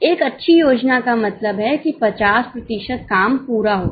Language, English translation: Hindi, A good plan means 50% of the work is achieved